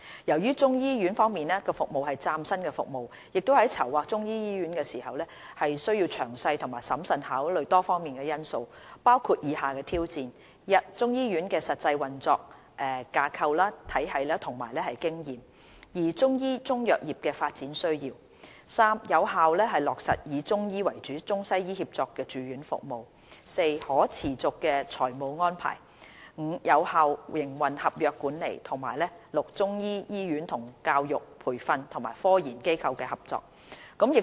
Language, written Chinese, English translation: Cantonese, 由於中醫醫院服務是嶄新的服務，在籌劃中醫醫院時需詳細和審慎考慮多方面的因素，包括以下的挑戰： 1中醫醫院的實際運作架構體系和經驗； 2中醫中藥業的發展需要； 3有效落實以中醫為主的中西醫協作住院服務； 4可持續的財務安排； 5有效的營運合約管理；及6中醫醫院與教育、培訓及科研機構的合作。, As the provision of Chinese medicine hospital services is unprecedented detailed and careful consideration of various factors including the following challenges is necessary when planning for the Chinese medicine hospital 1 establishing a framework for and experience in the operation of a Chinese medicine hospital; 2 meeting the developmental needs of the Chinese medicine sector; 3 ensuring effective provision of ICWM inpatient services with Chinese medicine having the predominant role; 4 making sustainable financial arrangement; 5 ensuring effective management of the operation contract; and 6 facilitating the cooperation between the Chinese medicine hospital and the educational training and research institutions